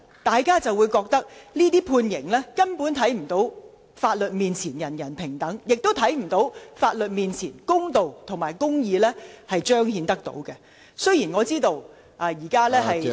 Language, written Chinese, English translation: Cantonese, 大家都覺得這些判刑根本無法彰顯"法律面前，人人平等"的原則，亦無法令人相信在法律面前可以彰顯公道和公義。, Many people think that these penalties simply cannot manifest the principle of equality for all before the law nor uphold justice and fairness before the law